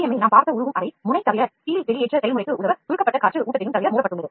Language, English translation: Tamil, The melt chamber which we saw in FDM is sealed apart from the nozzle with the compressed air feed to assist the screw extrusion process